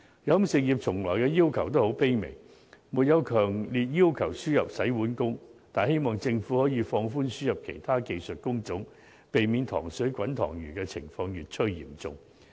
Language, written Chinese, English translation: Cantonese, 飲食業從來的要求也很卑微，並沒有強烈要求輸入洗碗工，只是希望政府能放寬輸入其他技術工種，避免"塘水滾塘魚"的情況越趨嚴重。, The catering industry has not urged for the importation of dish - washing workers very strongly . It only humbly hopes that the Government can relax the importation of workers for other job types; otherwise the competition for workers within the industry will become more serious